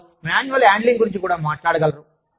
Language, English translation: Telugu, And, they could even talk about, manual handling